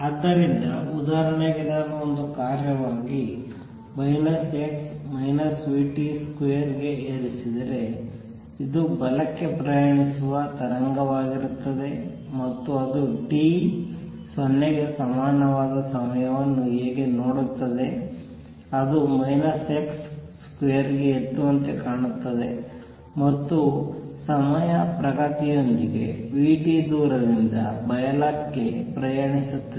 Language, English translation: Kannada, So, for example, if I have e raise to minus x minus v t square as a function this would be a travelling wave to the right and how does it look at time t equal to 0, it look like e raise to minus x square and with time progressing will keep travelling to the right by distance v t